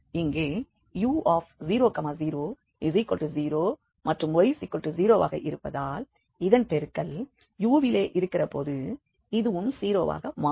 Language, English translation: Tamil, So here u 0 0 will be 0 and this since y is 0 and the product is there in u, so this is going to be also 0